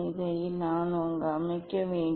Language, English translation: Tamil, I have to set this